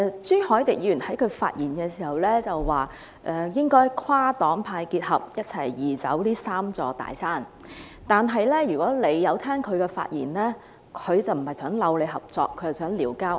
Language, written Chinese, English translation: Cantonese, 朱凱廸議員在發言時表示，應該跨黨派合作，一同移走這"三座大山"，但如果大家有聆聽他的發言，便會知道他不是尋求合作，而是"撩交嗌"。, Mr CHU Hoi - dick said in his speech that we should forge cross - party cooperation and make concerted efforts to remove these three big mountains . But Members who have listened to his speech will know that he was not seeking cooperation but picking a fight